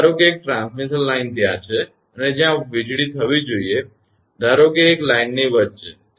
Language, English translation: Gujarati, Suppose a transmission a line is there and where that lightning should happen; suppose in middle of a line